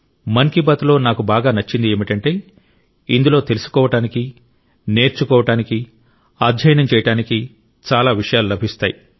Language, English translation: Telugu, But for me the best thing that I like in 'Mann Ki Baat' is that I get to learn and read a lot